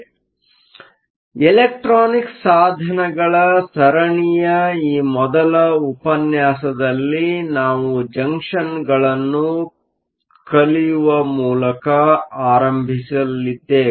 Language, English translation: Kannada, So, in this first lecture on the series of electronic devices we are going to start by looking at Junctions